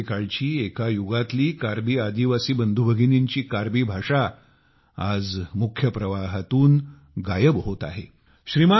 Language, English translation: Marathi, Once upon a time,in another era, 'Karbi', the language of 'Karbi tribal' brothers and sisters…is now disappearing from the mainstream